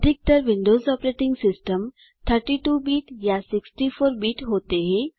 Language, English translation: Hindi, Most Windows Operating systems are either 32 bit or 64 bit